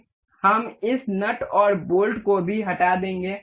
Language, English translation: Hindi, We will delete this nut and the bolt as well